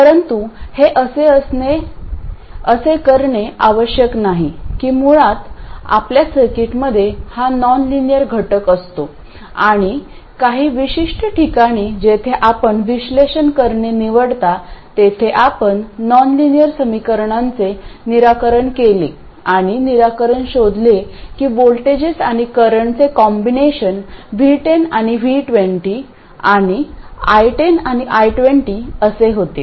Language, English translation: Marathi, It's basically you have this nonlinear element in a circuit and at some particular point where you choose to do the analysis you have solved the nonlinear equations and found the solution, that combination of voltages and currents happens to be V10, V10 and I10 and I20